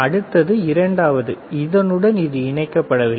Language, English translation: Tamil, The next one is not connected to second one